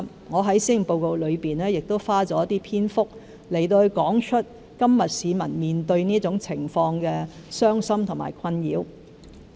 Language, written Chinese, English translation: Cantonese, 我在施政報告內亦花了一些篇幅，提述現時市民面對這種情況的傷心和困擾。, In the Policy Address I went to great lengths to describe the sadness and distress of the public in the face of such a situation